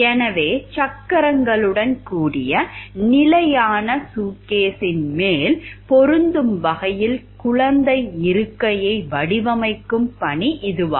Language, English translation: Tamil, So, it was an assignment which was to design child seat that fits on top of a standard suitcase with wheels